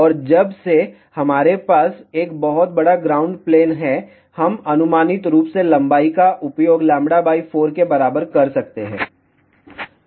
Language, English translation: Hindi, And since, we have a very large ground plane, we can use approximation as length to be equal to lambda by 4